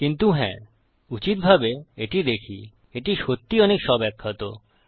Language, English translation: Bengali, But yes, to be honest, looking at this, this is really pretty much self explanatory